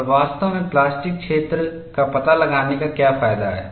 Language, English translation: Hindi, And really, what is the use of finding out the plastic zone